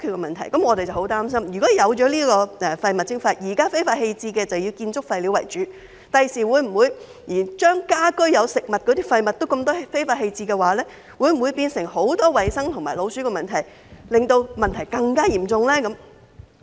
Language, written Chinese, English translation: Cantonese, 現在非法棄置垃圾以建築廢料為主，我們十分擔心，在實施廢物徵費後，會否連有大量食物的家居廢物也被非法棄置，會否產生更多衞生和老鼠問題，令問題更加嚴重？, At present illegal disposals mainly involve construction waste . Yet we worry that after the implementation of waste charging domestic waste with a large amount of food content may be illegally disposed of and may create additional hygiene and rat infestation problems thus aggravating the existing problems?